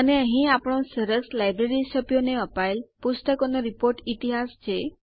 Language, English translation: Gujarati, And there is our nice report history on the Books issued to the Library members